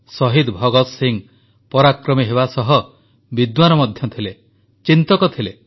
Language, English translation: Odia, Shaheed Bhagat Singh was as much a fighter as he was a scholar, a thinker